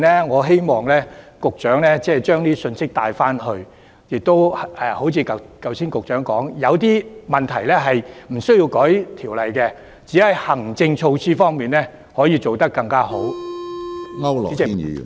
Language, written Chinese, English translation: Cantonese, 我希望局長把這些信息帶回去，正如局長剛才所說，有些問題無須修訂條例去處理，只須透過行政措施便可以做得更好。, I hope that the Secretary will bring these messages back to his office . As the Secretary said just now it does not warrant legislative amendments to deal with some of the problems for we can do better simply through administrative measures